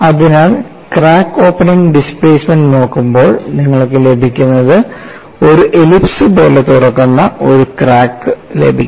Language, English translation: Malayalam, So, what you get by looking at the crack opening displacement is, you get a justification, that crack opens like an ellipse that is the information number one